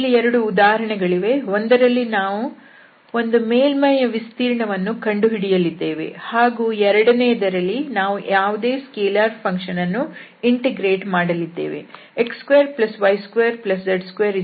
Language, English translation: Kannada, So, there will be two examples, one we will discuss to find the area of a surface and the other one where we will integrate some scalar function